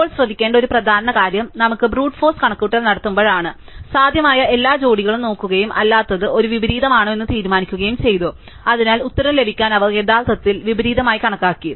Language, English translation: Malayalam, Now, an important think to note is when we did are Brute force calculation, we looked at every possible pair and decided whether are not it is an inversion, so they actually explicitly counted the inversions to get the answer